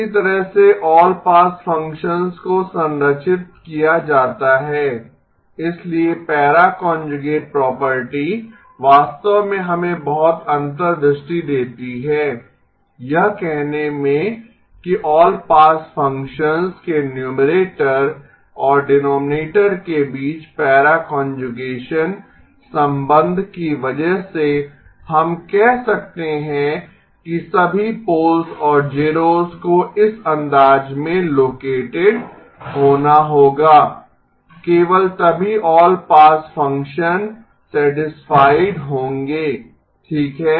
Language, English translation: Hindi, That is how an all pass function is structured, so the para conjugation property actually gives us a lot of insight into saying that because of the para conjugation relationship between the numerator and denominator of an all pass function then we can say that all poles and zeros have to be located in this fashion, only then the all pass function will be satisfied okay